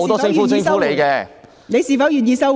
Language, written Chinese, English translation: Cantonese, 許智峯議員，你是否願意收回？, Mr HUI Chi - fung are you willing to withdraw it?